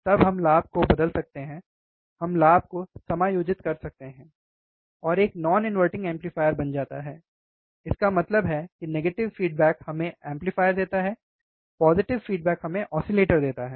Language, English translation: Hindi, Then only we can change the gain we can we can adjust the gain we can play with the gain, and becomes a non inverting amplifier; means that, negative feedback field give us amplifier implication, positive feedback give us oscillation right